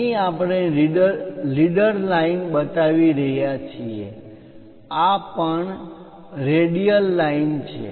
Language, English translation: Gujarati, Here we are showing leader line this is also a radial line